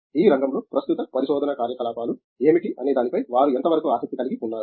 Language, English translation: Telugu, How interested are they in what are the current research activities in the field